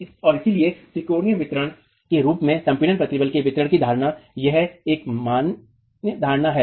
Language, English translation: Hindi, And so the assumption of the assumption of the distribution of compressive stresses as a triangular distribution is a valid assumption here